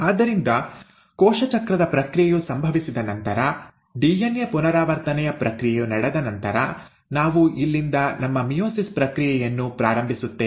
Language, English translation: Kannada, So after the process of cell cycle has happened, the process of DNA replication has taken place, we will be starting our process of meiosis from here